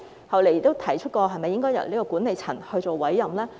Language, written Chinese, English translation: Cantonese, 後來亦提出是否應該由管理層作出委任？, Later I also asked whether the appointment should be made by the management